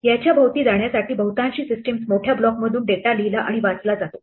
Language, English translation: Marathi, To get around this most systems will read and write data in large blocks